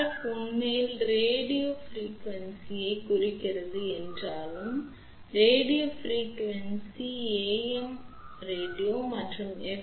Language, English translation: Tamil, Even though RF stands for radio frequency in fact, radio frequency goes to even AM radio and FM radio also